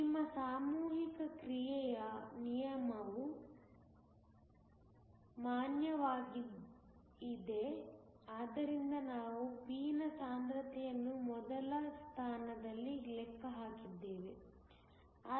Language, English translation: Kannada, Your law of mass action is valid, which is how we calculated the concentration of p in the first place